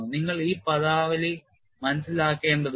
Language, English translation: Malayalam, You need to understand this terminology